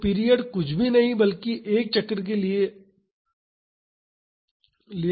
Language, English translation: Hindi, So, period is nothing, but the time taken for 1 cycle